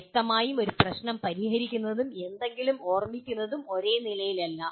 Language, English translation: Malayalam, Obviously solving a problem, remembering something is not at the same level